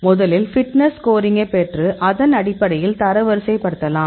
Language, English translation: Tamil, So, first we can get the fitness score, we can screen; you can rank based on fitness score